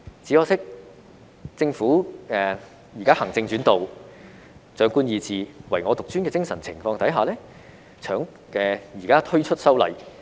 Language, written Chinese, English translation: Cantonese, 只可惜，政府現時在行政主導、長官意志、唯我獨尊的精神下推出修例。, Regrettably the Government is now introducing legislative amendments under the spirit of an executive - led government will of those in authority and self - centeredness